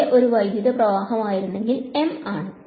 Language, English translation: Malayalam, If J was a electric current then, M is a